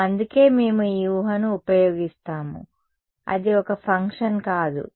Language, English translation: Telugu, Yes, that is why we use this assumption that is not it is not a function